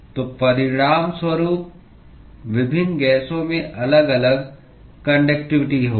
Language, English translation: Hindi, So, as a result, different gases will have different conductivity